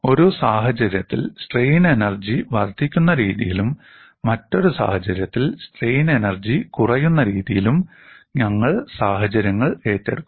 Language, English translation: Malayalam, We would take up situations in a manner that, in one case strain energy increases, in another case strain energy decreases